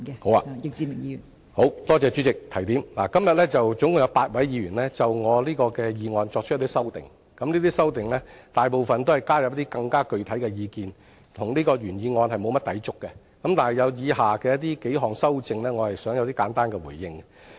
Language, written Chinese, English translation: Cantonese, 好的，多謝代理主席的提點，今天總共有8位議員就我這項議案作出修訂，這些修正案大部分均是加入更具體的意見，與原議案沒有甚麼抵觸，但我想對以下數項修正案，作簡單回應。, I thank Deputy President for reminding me of this . A total of eight Members have moved amendments to this motion . The amendments mostly seek to provide more specific views and do not contradict the original motion